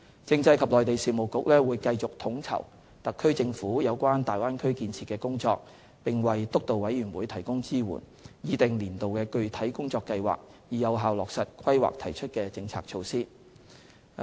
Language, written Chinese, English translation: Cantonese, 政制及內地事務局會繼續統籌特區政府有關大灣區建設的工作，並為督導委員會提供支援，擬訂年度的具體工作計劃，以有效落實《規劃》提出的政策措施。, This will enable us to take forward the Bay Area development in a more focused manner . The Constitutional and Mainland Affairs Bureau will continue to coordinate the SAR Governments work relating to the Bay Area development and provide support to the Steering Committee by formulating concrete annual work plans for effective implementation of the measures proposed in the Plan